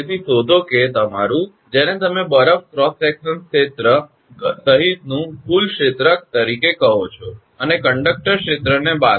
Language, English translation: Gujarati, So, find out that your, what you call the total area including ice cross sectional area and subtract the conductor area